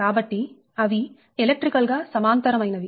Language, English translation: Telugu, right, so all are electrically parallel